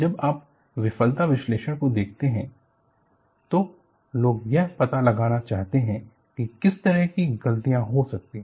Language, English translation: Hindi, When you look at the failure analysis, people want to find out, what kind of mistakes could have happened